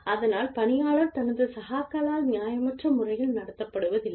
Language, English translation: Tamil, So, that the employee is not treated unfairly, by his or her peers